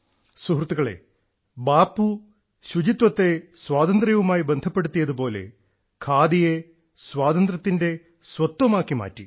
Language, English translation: Malayalam, Bapu had connected cleanliness with independence; the same way he had made khadi the identity of freedom